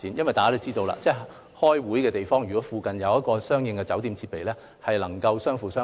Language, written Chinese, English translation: Cantonese, 大家也知道，如果開會的地方附近設有酒店，兩個行業就能夠相輔相成。, It is commonly known that the availability of hotels in the vicinity of conference venues can foster the complementarity of the two industries